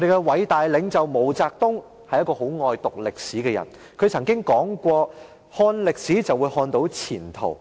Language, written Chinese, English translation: Cantonese, 偉大領袖毛澤東很喜歡讀歷史，他說過："看歷史，就會看到前途。, Great leader MAO Zedong really liked studying history and he said We will see the future in history